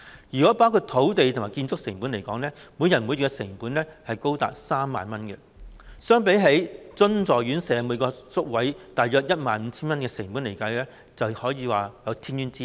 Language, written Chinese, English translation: Cantonese, 如果包括土地和建築成本在內，每人每月的成本高達 30,000 元，相比起津助院舍每個宿位大約 15,000 元的成本而言，可說是有天淵之別。, If land and construction costs are included the monthly cost per person is as high as 30,000 which is a far cry from the cost of about 15,000 per place in the subsidized residential care home